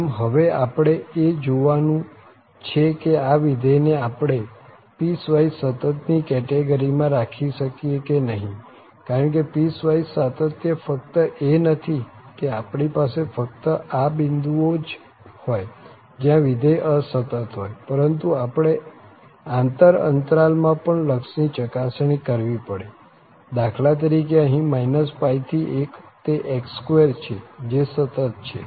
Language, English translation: Gujarati, So, now we have to check whether we can put this function in the category of piecewise continuous because piecewise continuous is not just that we have these points where the function is discontinuous, but we have to also check the limits in each sub interval, for instance, here minus pi to 1, its x square it is continuous, here also it is continuous